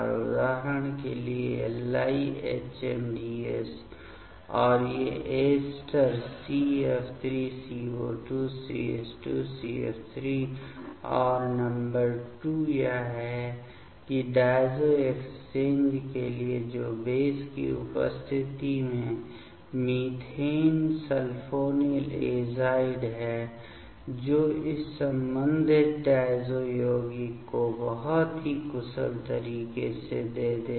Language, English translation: Hindi, As per example LiHMDS and these ester CF3CO2CH2CF3 and number 2 is that the for the diazo exchange that is the methane sulphonyl azide in presence of base that will give this corresponding diazo compound in a very efficient way ok